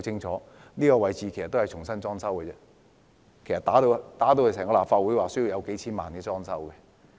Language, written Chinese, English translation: Cantonese, 這個位置已經重新裝修，其實立法會被破壞後要花費數千萬元裝修。, This place has now been renovated; in fact it cost tens of millions of dollars to renovate the Complex after it had been vandalized